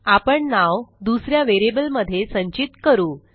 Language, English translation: Marathi, Well store the name in a different variable